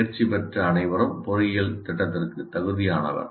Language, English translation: Tamil, Anyone who passed is eligible for engineering program